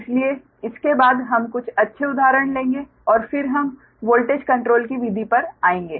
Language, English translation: Hindi, so after this we will take few good examples, right, we will take few good examples, and then we will come to the method of voltage control, right